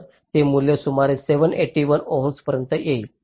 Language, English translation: Marathi, ok, so this value comes to about seven eighty one ohms